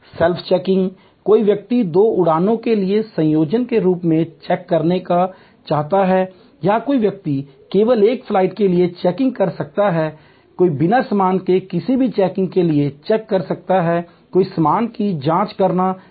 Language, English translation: Hindi, Self checking, somebody may want to check in for two flights in conjunction or somebody may be just checking in for one flight, somebody may checking in without any check in baggage, somebody may be wanting to check in baggage,